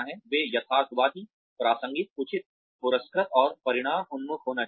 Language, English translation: Hindi, They should be realistic, relevant, reasonable, rewarding, and results oriented